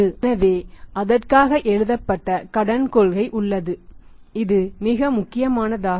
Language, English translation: Tamil, So, for that there is a need for the written credit policy this is a very important requirements